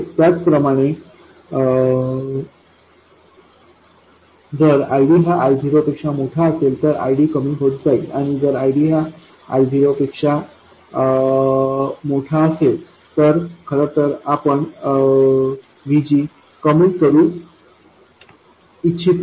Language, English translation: Marathi, Similarly, if ID is greater than I 0, VD goes on decreasing, and if ID is greater than I 0 we actually want to reduce VG